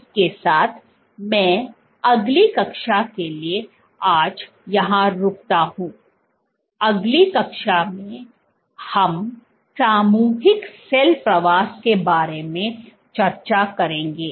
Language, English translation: Hindi, With that I stop here for today in the next class we will discuss about collective cell migration